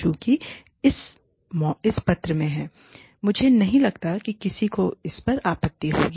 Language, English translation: Hindi, Since, it is in this paper, i do not think, anyone will object to it